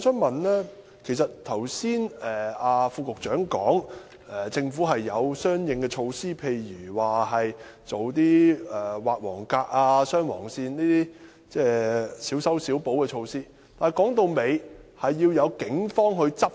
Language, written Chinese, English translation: Cantonese, 代理主席，剛才局長表示政府已有相應措施，例如加設黃格和劃雙黃線等小修小補的措施，但說到底，當局需要配合警方執法。, Deputy President just now the Secretary indicated that the Government had already put in place corresponding measures such as adding yellow boxes drawing double yellow lines and other minor patch - ups . After all the authorities have to tie in with the law enforcement actions taken by the Police